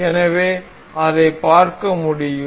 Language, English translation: Tamil, You can see